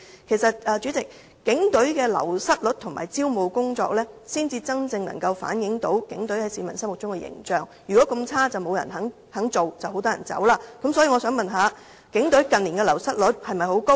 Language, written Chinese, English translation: Cantonese, 主席，其實警隊的流失率及招募工作才能真正反映警隊在市民心目中的形象，如果警隊真的這麼差，自然沒有人會願意加入，亦會有很多人離職。, President actually only the wastage rate and recruitment work of the Police Force can truly reflect its image in the minds of members of the public . If the Police Force are really so bad certainly no one will be willing to join it and many people will leave the ranks